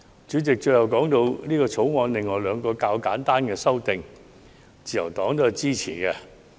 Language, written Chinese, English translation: Cantonese, 主席，最後，我想談談《條例草案》另外兩項較為簡單的修訂，自由黨對此亦表示支持。, President in the last part of my speech I would like to speak on two other relatively simple amendments in the Bill that the Liberal Party supports